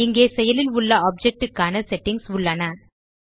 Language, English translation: Tamil, Here are the settings for the active object